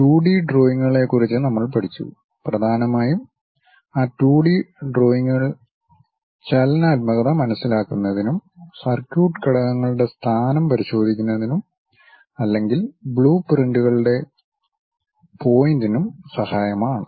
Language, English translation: Malayalam, Till now we have learned about 2D drawings, mainly those 2D drawings are helpful in terms of understanding kinematics and to check position of circuit elements or perhaps for the point of blueprints